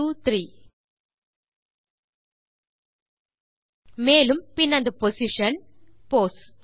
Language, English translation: Tamil, 123 And then the position, pos